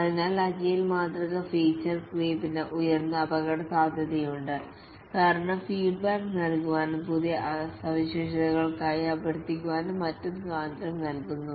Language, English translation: Malayalam, So, there is a higher risk of feature creep in the agile model because the freedom is given to give feedback and request for new features and so on